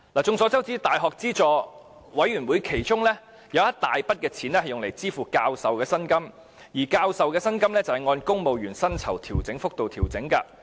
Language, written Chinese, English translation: Cantonese, 眾所周知，大學資助教育委員會其中一大筆款項是用於支付教授的薪金，而教授的薪金是按公務員薪酬調整幅度調整的。, As we all know a large portion of the funding allocated to the University Grants Committee is for paying salaries to professors which are adjusted according to civil service pay adjustment rates